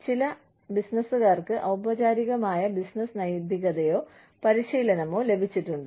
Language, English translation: Malayalam, Few business people have received, formal business ethics or training